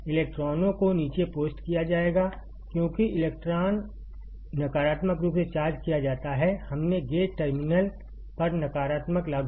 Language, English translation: Hindi, The electrons, will be post down because electron is negatively charged; we applied negative to the gate terminal